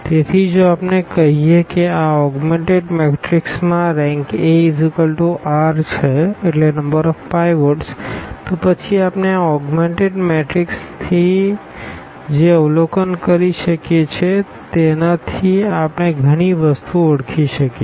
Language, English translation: Gujarati, So, if we say that the rank A is equal to this number r the number of pivots in our this augmented matrix then what we can observe from this augmented matrix we can identify so many things